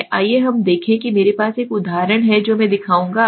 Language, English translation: Hindi, Let us see I have an example I will show you